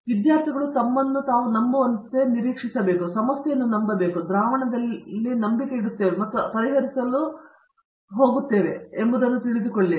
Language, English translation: Kannada, So, I expects students to believe in themselves, believe in the problem and believe in the solution and know what we are going to solve